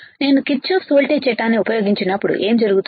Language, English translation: Telugu, When I use Kirchhoffs voltage law what will happen